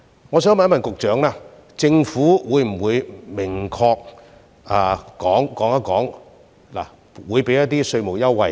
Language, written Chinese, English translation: Cantonese, 我想問局長，政府會否明確說出會提供稅務優惠呢？, I would like to ask the Secretary whether the Government will explicitly say that tax concessions can be offered